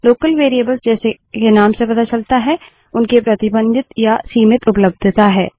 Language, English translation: Hindi, Local Variables , which as the name suggests have a more restricted or limited availability